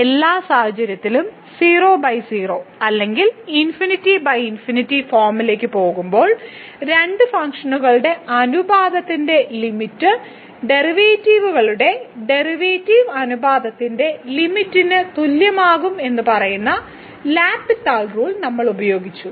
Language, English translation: Malayalam, In all the cases we have used the L’Hospital rule which says that the limit of the ratio of the two functions when they go to the 0 by 0 or infinity by infinity form will be equal to the limit of the derivatives ratio of the derivatives